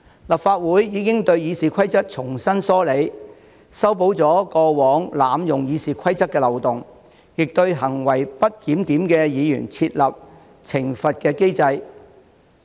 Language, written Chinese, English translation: Cantonese, 立法會已對《議事規則》重新梳理，修補了過往濫用《議事規則》的漏洞，亦對行為不檢點的議員設立懲罰機制。, The Legislative Council has rationalized the Rules of Procedure again to close the loopholes that were abused in the past and establish a penalty mechanism for Members with disorderly conduct